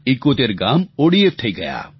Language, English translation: Gujarati, 71 villages became ODF